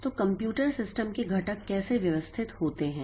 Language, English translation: Hindi, So, how are the components of a computer system are organized